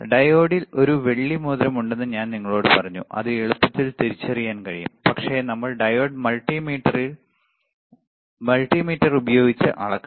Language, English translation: Malayalam, I told you there is a silver ring on the diode that is easy way of identifying it, but we have to measure the diode with the multimeter